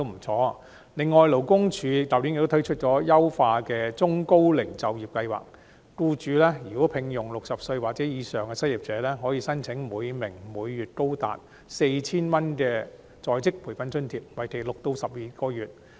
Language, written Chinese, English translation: Cantonese, 此外，勞工處去年亦推出優化的中高齡就業計劃，如僱主聘用60歲或以上的失業者，可以申請每名每月高達 4,000 元的在職培訓津貼，為期6至12個月。, Moreover it introduced the enhanced Employment Programme for the Elderly and Middle - aged last year . Employers engaging unemployed persons aged 60 or above can apply for an on - the - job training allowance of up to 4,000 monthly per employee for 6 to 12 months